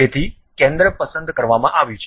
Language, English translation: Gujarati, So, center has been picked